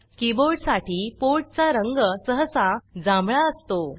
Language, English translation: Marathi, The port for the keyboard is usually purple in colour